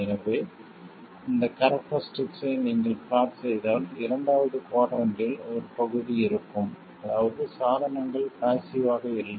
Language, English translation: Tamil, So this means that if you plot this characteristic there will be a part in the second quadrant which means that the device is not passive